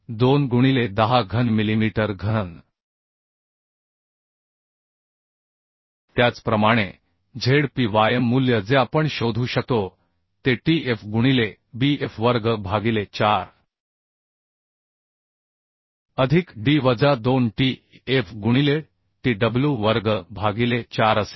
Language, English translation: Marathi, 2 into 10 cube millimetre cube Similarly the Zpy value we can find out Zpy value will be tf into bf square by 4 plus D minus 2tf into tw square by 4 so thickness of flange was 9